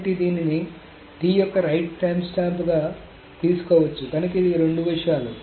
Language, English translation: Telugu, So simply this can be taken as the right time stamp of T